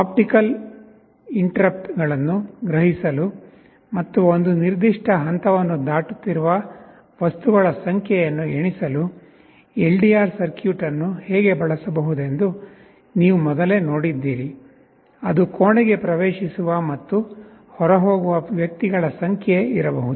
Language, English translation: Kannada, Earlier you had seen how an LDR circuit can be used to sense optical interruptions and count the number of objects, which are crossing a certain point, may be number of persons entering and leaving a room